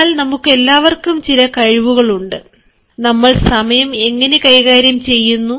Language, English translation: Malayalam, all of us have certain skills in us how we manage time